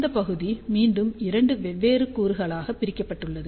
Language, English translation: Tamil, This region again is divided into two different component